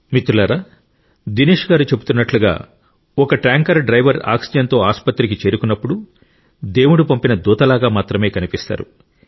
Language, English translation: Telugu, Friends, truly, as Dinesh ji was mentioning, when a tanker driver reaches a hospital with oxygen, he comes across as a godsent messenger